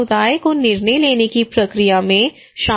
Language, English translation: Hindi, Community should be involved into the decision making process